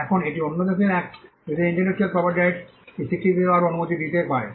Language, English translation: Bengali, Now, this could also allow for recognition of intellectual property rights of one country in another country